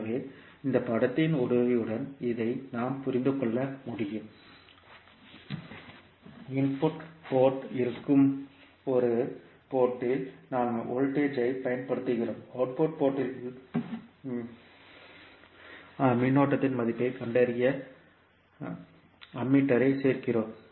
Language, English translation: Tamil, So, we can understand this with the help of this figure in which at one port that is input port we are applying the voltage and at the output port we are adding the Ammeter to find out the value of current